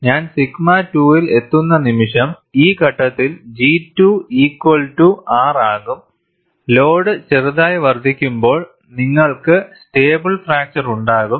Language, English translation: Malayalam, But the moment I reach sigma 2, where G 2 is equal to R at this point, when the load is slightly increased, you will have a stable fracture